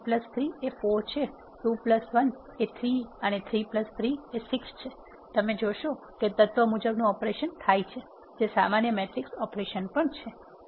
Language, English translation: Gujarati, So, 1 plus 3 is 4, 2 plus 1 is 3, and 3 plus 3 is 6 you will see the element wise operation happens that is what normal matrix operation is also about